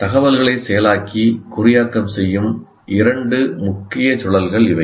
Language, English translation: Tamil, These are the two major loops that process the information and encode